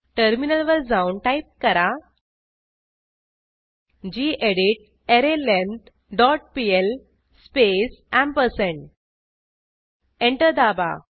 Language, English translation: Marathi, Switch to the terminal and type gedit arrayLength dot pl space ampersand Press Enter